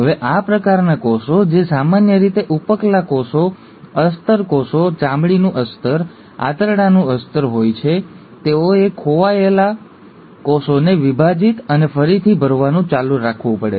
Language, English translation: Gujarati, Now these kind of cells, which are usually the epithelial cells, the lining cells, the lining of the skin, the lining of the gut, they have to keep on dividing and replenishing the lost cells